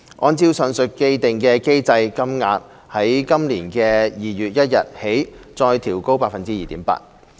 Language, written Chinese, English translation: Cantonese, 按照上述既定機制，金額將在今年2月1日起再調高 2.8%。, In accordance with the said established mechanism payment rates will be further increased by 2.8 % from 1 February this year